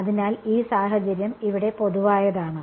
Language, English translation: Malayalam, So, this situation is general over here